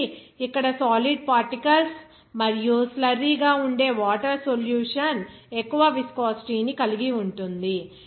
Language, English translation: Telugu, So, that means here the solution of that solid particles and water that is slurry will be having more viscosity